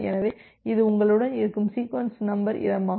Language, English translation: Tamil, So, this is the available sequence number space which is there with you